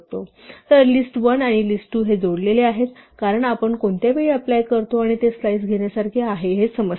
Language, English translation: Marathi, So, list1 and list2 have become decoupled because which time we apply plus it is like taking slice